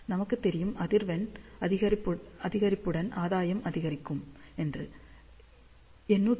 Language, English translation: Tamil, So, as frequency increases, gain increases